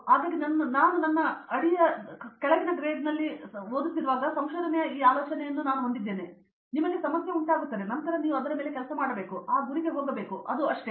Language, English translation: Kannada, So, while I was doing my under grade, I had this idea of research it’s like you will be given a problem and then you have to work on it and you have to just go towards that goal, that’s all